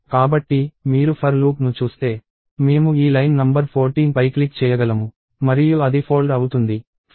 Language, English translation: Telugu, So, if you see this for loop, right, I can click on this line number 14 and it folded